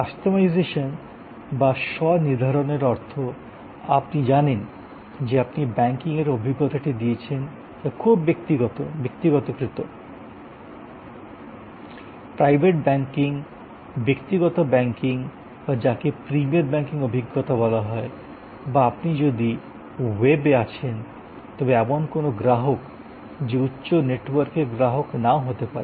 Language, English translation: Bengali, Customization that means, you know you give the banking experience which is very personalized, privilege banking personal banking or what they call premier banking experience or if you are actually on the web then even a customer who is may not be a high network customer